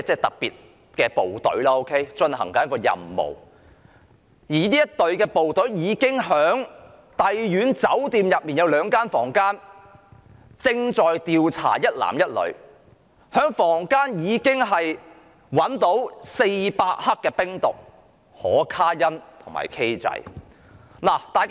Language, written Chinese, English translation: Cantonese, 當時旺角警區特別職務隊正在帝苑酒店的兩間房間調查一男一女，在房間內找到400克冰毒、可卡因和 "K 仔"。, The Special Duties Team of the Mong Kok Police District was then investigating one man and one woman in two rooms of the Royal Garden Hotel and 400 g of ice cocaine and ketamine were found in the rooms